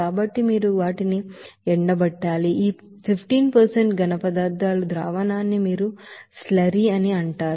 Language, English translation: Telugu, So you have to dry these you know solution of this 15% solids that is called slurry